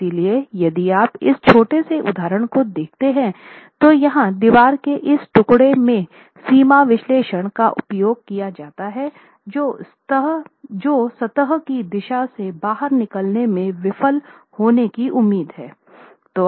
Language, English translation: Hindi, So if you see this little example here, limit analysis is used, there is this piece of the wall which is expected to fail in the out of plane direction